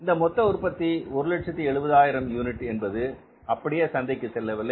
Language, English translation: Tamil, From this, now this production, total production of 170,000 units is not going to market